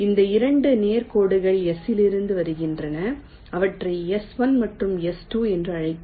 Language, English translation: Tamil, these two straight lines are coming from s, call them s one and s two